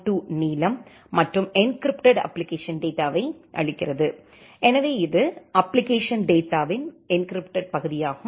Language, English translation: Tamil, 2 the length, and the encrypted application data, so this is the encrypted part of the application data